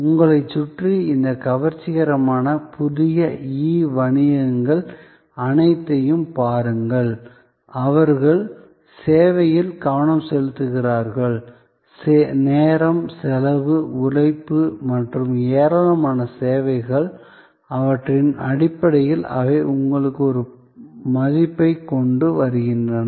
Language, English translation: Tamil, Look around you, all these fascinating new e businesses, they focus on service, they bring to you a value in terms of savings of time, cost, labour and a plethora of services